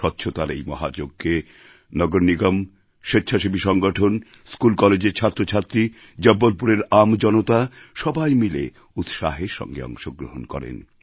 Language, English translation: Bengali, In this 'Mahayagya', grand undertaking, the Municipal Corporation, voluntary bodies, School College students, the people of Jabalpur; in fact everyone participated with enthusiasm & Zest